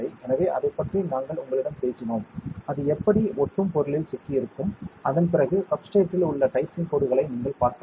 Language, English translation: Tamil, So, we just spoke to you about that, then how it will be stuck on to a sticky material and then you can you saw the dicing lines on the substrate